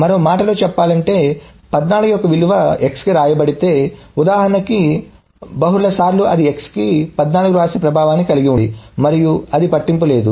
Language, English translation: Telugu, So in other words, if the value of 14 is written to x in the example multiple times it has the same effect of writing 14 to x once and it doesn't matter